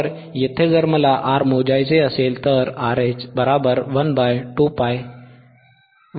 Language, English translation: Marathi, So, here if I want to measure R, RH equals to 1 upon 2 pi fH CC,